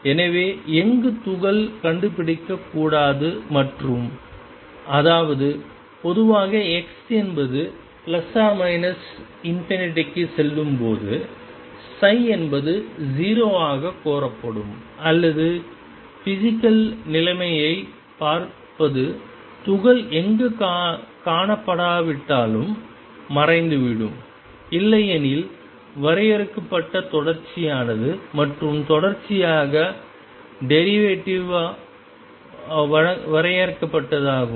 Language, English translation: Tamil, So, wherever particle is not to be found and; that means, generally x tend into plus or minus infinity will demanded psi be 0 or looking at the physical situation psi should vanish wherever the particle is not to be found at all, otherwise is finite continuous and is derivative finite in continuous